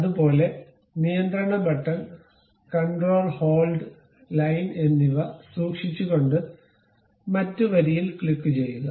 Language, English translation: Malayalam, Similarly, click the other line by keeping control button, control hold and line